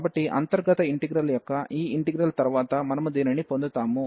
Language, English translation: Telugu, So, after this integration of the inner integral, we will get this